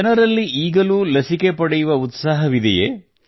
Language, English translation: Kannada, Are people still keen to get vaccinated